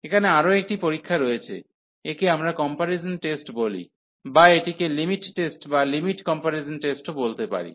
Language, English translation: Bengali, There is another test here, it is we call comparison test 2 or it is called the limit test also limit comparison test